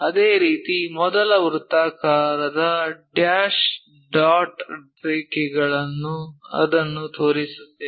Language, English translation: Kannada, Similarly, first circle dash dot lines we will show it